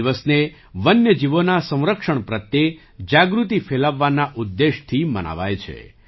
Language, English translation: Gujarati, This day is celebrated with the aim of spreading awareness on the conservation of wild animals